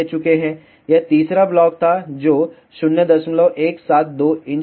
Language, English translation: Hindi, This was third block it is 0